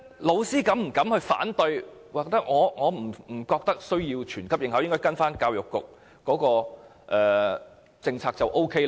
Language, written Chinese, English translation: Cantonese, 教師會否敢於反對，說不需要全級學生應考，只要依照教育局的政策便可？, Do teachers have the courage to voice their opposition saying that instead of letting all the students sit for BCA schools should just follow the policy proposed by the Education Bureau?